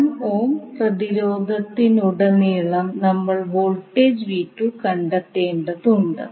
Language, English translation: Malayalam, We need to find out the voltage across 1 ohm resistance